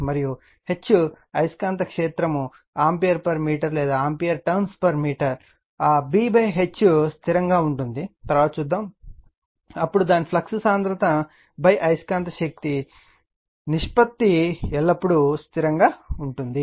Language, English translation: Telugu, And H right the magnetic field ampere per meter or we will later we will see it is ampere tons per meter that B by H is constant, then its flux density by magnetizing force ratio is always constant right